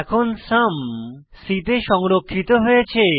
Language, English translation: Bengali, Here we print the sum which is store in c